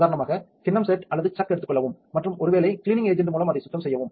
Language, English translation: Tamil, Take for example, the bowl set or the chuck does matter and clean it probably with the cleaning agent